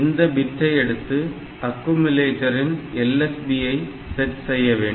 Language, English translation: Tamil, So, that bit has to be read and we have to set it to the LSB of the accumulator